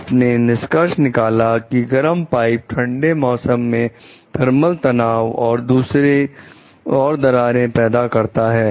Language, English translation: Hindi, You conclude that the hot pipe in cold weather created thermal stresses and caused the cracking